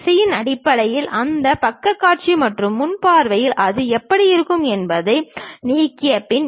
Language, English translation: Tamil, After removing how it looks like in that side view or front view, based on the direction